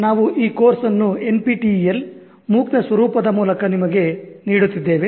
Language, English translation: Kannada, We are giving this course to you through the format of NPTAL MOOC